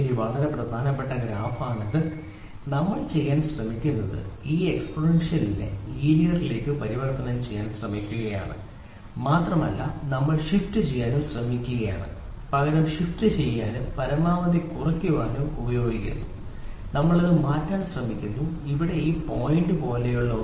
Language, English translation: Malayalam, This is very important graph it and today what we are trying to do is we are trying to convert this exponential into linear and we are also trying to shift rather trying to shift and make the cost as minimum as possible, we are trying to shift this here something like this point